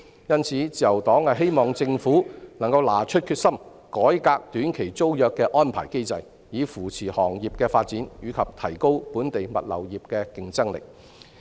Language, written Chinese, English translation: Cantonese, 因此，自由黨希望政府能夠拿出決心改革短期租約的安排機制，以扶持行業的發展及提高本地物流業的競爭力。, As a result the Liberal Party hopes the Government can drum up the resolve to reform the arrangements of STT so as to support the development of the trade and enhance the competitiveness of the local logistics industry